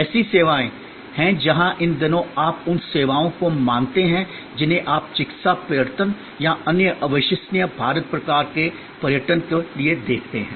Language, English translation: Hindi, There are services where these days as suppose to the services you see for medical tourism or other incredible India type of tourism